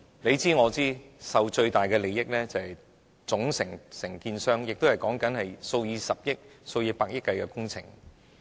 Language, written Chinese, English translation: Cantonese, 大家也知道，獲益最大的是總承建商，因為涉及數以百億元計的工程。, As we all know the principal contractor is the party that stands to reap the greatest gain because a project involves tens of billions of dollars